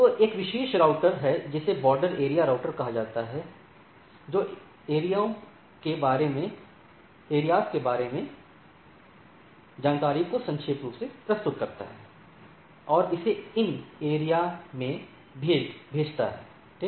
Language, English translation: Hindi, So all, so there is a special router called border area routers summarize the information about the areas and send it to other areas, right